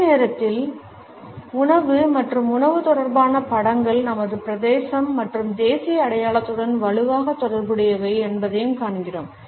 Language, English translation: Tamil, At the same time we find that food and food related images are strongly related to our concept of territory and national identity